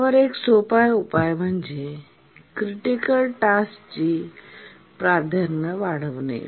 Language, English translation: Marathi, One simple solution to this is to just raise the priority of the critical task